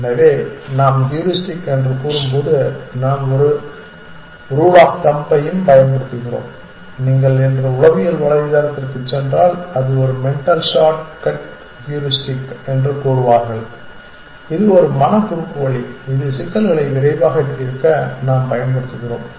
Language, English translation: Tamil, So, when we say heuristic we also use a term rule of thumb and if you go to the psychology today website they will say that it is a mental shortcut heuristic is a mental shortcut which we use to solve problems quickly